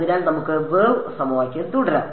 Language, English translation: Malayalam, So, let us continue with are wave equation